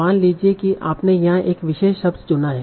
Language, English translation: Hindi, So suppose you picked up a particular word here